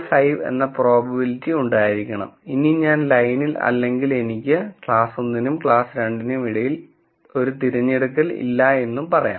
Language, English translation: Malayalam, 5, which basically says that if I am on the line I cannot make a choice between class 1 and class 2